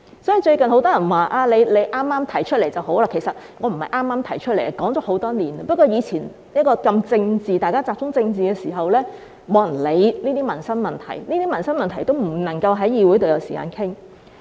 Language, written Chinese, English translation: Cantonese, 所以，最近很多人說，我此時提出正合時機，但其實我不是剛剛提出的，已提出很多年，只是以前大家聚焦政治議題，沒有人理會這些民生問題，以致這些民生問題不能在議會上有時間討論。, Hence many people recently said that I had proposed the Bill at the right time . But in fact I did not introduce the Bill just now . I proposed it many years ago just that Members used to focus their attention on political issues that no one cared about these livelihood issues and thus these issues were not allocated any time in this Council for discussion